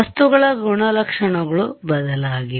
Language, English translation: Kannada, properties of the material have changed